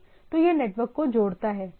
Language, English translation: Hindi, So it connects network right